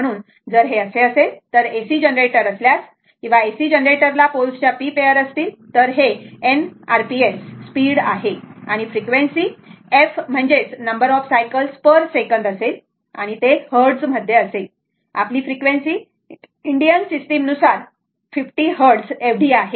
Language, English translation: Marathi, So, if it is so, then therefore if an AC generator, if an AC generator has p pairs of poles, it is speed and n r p s, the frequency is equal to the frequency can be f this is small f can be given as number of cycles per second right, you have you have a Hertz, you have a Hertz that our frequency is 50 Hertz in a in Indian system